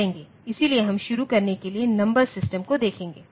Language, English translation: Hindi, So, to start with we will look into the number systems